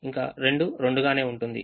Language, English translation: Telugu, two remains as two